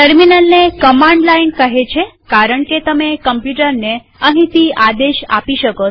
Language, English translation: Gujarati, Terminal is called command line because you can command the computer from here